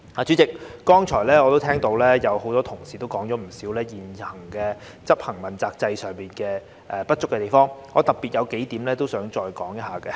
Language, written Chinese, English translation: Cantonese, 主席，我剛才也聽到很多同事說了不少現時執行問責制上的不足地方，我想特別討論數點。, President I just heard many colleagues mention not a few deficiencies in the current implementation of the accountability system and I particularly want to highlight a few points